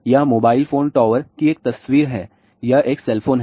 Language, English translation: Hindi, This is a picture of a mobile phone tower and that is a cell phone